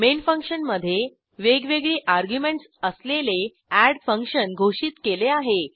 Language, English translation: Marathi, In function main we declare the add function with different arguments